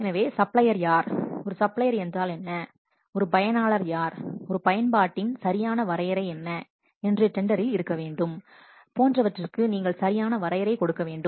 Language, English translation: Tamil, So, you must give proper definition to the terms such as what is, who is a supplier, a supplier, what is mean by a supplier, who is an user, what is an application proper definition should be there in the tender